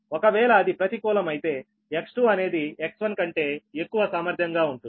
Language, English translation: Telugu, if it is negative, then x two will be the higher potential than x one, right